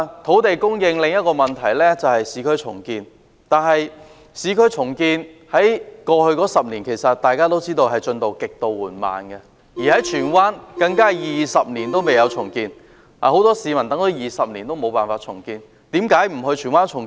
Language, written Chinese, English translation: Cantonese, 土地供應的另一個問題是市區重建，但正如大家也知道，市區重建在過去10年進度極為緩慢，而荃灣更是20年來未有進行任何重建。, Another issue relating to land supply is urban renewal . As we all know the progress of urban renewal has been extremely slow over the past decade and Tsuen Wan has not even undergone any redevelopment over the past two decades